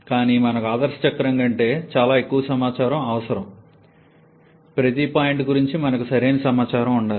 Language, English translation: Telugu, But we need much more information than the ideal cycle, we need to have proper information about each of the points